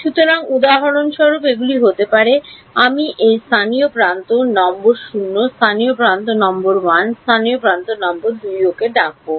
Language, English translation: Bengali, So, for example, these can be I will call this local edge number 0, local edge number 1, local edge number 2 ok